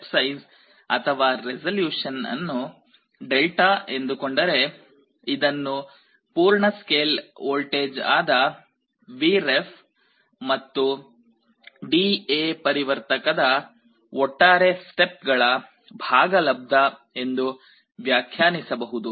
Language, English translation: Kannada, The step size or resolution if you call it Δ, this can be defined as the full scale voltage Vref divided by the total number of steps of the D/A converter